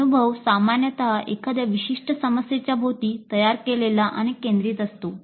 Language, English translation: Marathi, So the experience is usually framed and centered around a specific problem